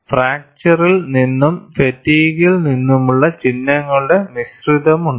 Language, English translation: Malayalam, There is a mixture of symbols from fracture and fatigue